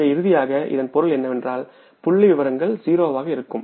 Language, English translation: Tamil, So it means finally these figures will be zero, nothing